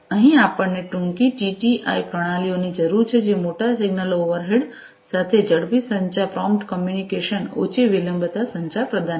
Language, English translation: Gujarati, So, here we need shorter TTI systems which will provide you know quite faster communication, prompt communication, low latency communication with larger signal overhead